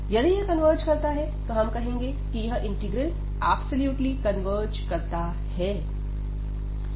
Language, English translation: Hindi, So, if this converges, then we call that this integral converges absolutely